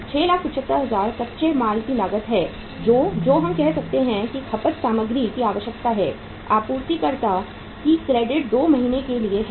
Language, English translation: Hindi, This is the uh 6,75,000 is the cost of raw material which is say requirement is material consumed supplier’s credit is for 2 months